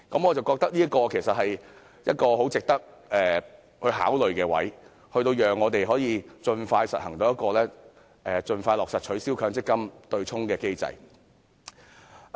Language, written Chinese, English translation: Cantonese, 我覺得這其實是很值得考慮的做法，讓我們可以盡快落實取消強積金對沖機制。, I think this approach does merit consideration in order for the abolition of the MPF offsetting mechanism to be implemented expeditiously